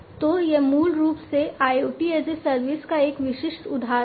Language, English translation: Hindi, So, this is basically a specific instance of IoT as a service